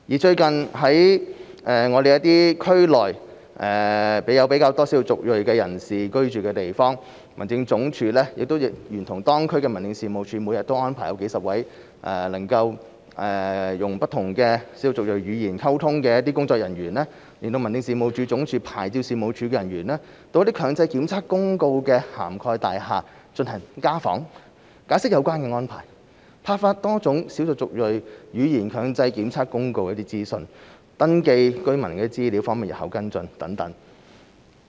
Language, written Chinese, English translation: Cantonese, 最近在區內有較多少數族裔人士居住的地方，民政事務總署亦聯同當區民政事務處，每天安排數十位能操不同少數族裔語言溝通的工作人員，聯同民政事務總署牌照事務處人員，到強制檢測公告涵蓋的大廈做家訪，解釋有關安排，派發多種少數族裔語言強制檢測公告的一些資訊，登記居民資料方便事後跟進等。, In respect of districts with a higher ethnic minority population the Home Affairs Department has recently joined hands with local District Offices to arrange dozens of staff who can speak ethnic minority languages and staff of the Office of the Licensing Authority of the Home Affairs Department to make daily household visits in buildings covered by the compulsory testing notice explain the arrangement distribute leaflets about the compulsory testing notice in ethnic minority languages and register the information of residents for follow - up actions